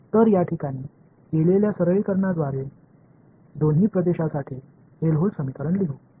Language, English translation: Marathi, So, with these simplifications made in place let us write down the Helmholtz equations for both the regions ok